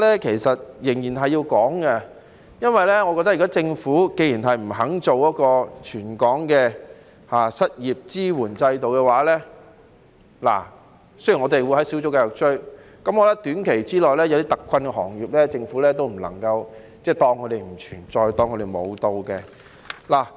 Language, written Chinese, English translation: Cantonese, 但是，我認為仍然是有需要討論的，縱使政府不肯推行全港的失業支援制度——雖然我們會在小組委員會繼續"追"——但短期內，對於一些特困行業，政府也不能夠當他們不存在、當他們"無到"的。, That said I still consider it necessary to discuss this topic . Despite the Governments reluctance to implement a territory - wide unemployment assistance system―still we will continue to pursue it in the Subcommittee―in the short run the Government cannot treat some hard - hit industries as if they do not exist and as if they are non - existent